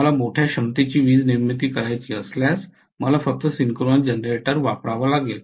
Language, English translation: Marathi, If I have to generate a large capacity electricity power, then I have to use only synchronous generator